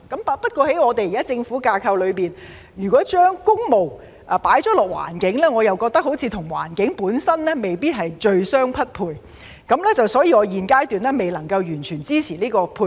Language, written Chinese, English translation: Cantonese, 不過，在現時的政府架構裏，如果把工務配搭環境，我覺得好像與環境本身未必最相匹配，所以我現階段未能完全支持這個配搭。, However under the current government structure it does not seem to me that public works and the environment would be the best match so I cannot fully support this mix at this stage